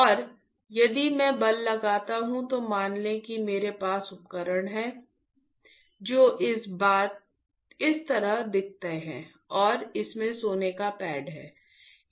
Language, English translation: Hindi, And, if I apply a force so, let us say I have equip; I have a tool which looks like this and it has the gold pad